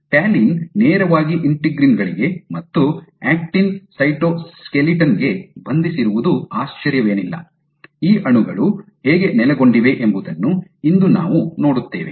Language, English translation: Kannada, So, this perhaps not surprising that talin directly binds to integrins as well as to the actin cytoskeleton, later on in today we will see how these molecules are located